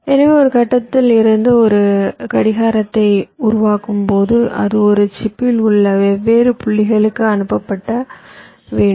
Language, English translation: Tamil, so the idea is that when we generate a clock from some point, it has to be sent or routed to the different points in a chip